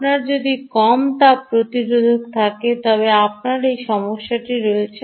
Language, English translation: Bengali, thermal resistance: if you have a low thermal resistance, you have this problem